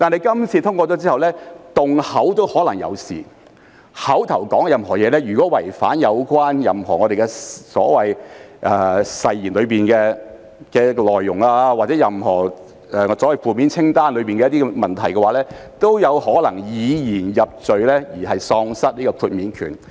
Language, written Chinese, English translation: Cantonese, 如果口頭上說的任何東西，違反任何誓言的內容或任何負面清單的行為，都有可能以言入罪，議員因而喪失豁免權。, If a Members verbal remarks violate the contents of an oath or certain acts in the negative list he may be convicted by his expression of views and he may thus be deprived of immunity